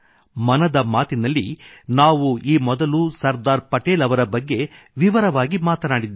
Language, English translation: Kannada, Earlier too, we have talked in detail on Sardar Patel in Mann Ki Baat